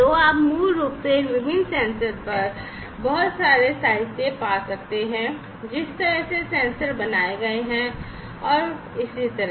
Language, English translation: Hindi, So, you could basically find lot of literature on these different sensors, the way the sensors are made and so on